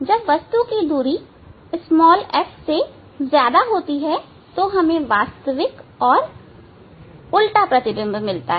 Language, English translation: Hindi, That image since distance is greater than F, we will get the inverted image and real image